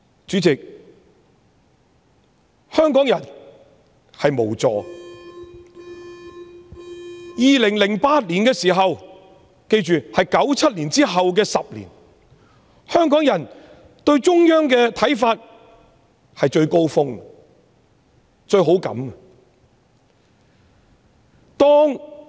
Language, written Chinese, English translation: Cantonese, 主席，香港人感到無助，在2008年，即1997年之後的10年，香港人對中央的認同是最高峰的，對中央是最有好感的。, Chairman Hong Kong people are feeling helpless . In 2008 a decade after 1997 the support of Hongkongers for the Central Authorities was at its peak and their feelings towards the Central Authorities were most positive